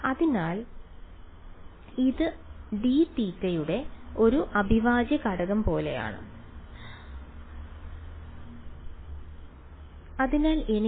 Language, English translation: Malayalam, So, it is more like an integral over d theta, so I get a minus 4 j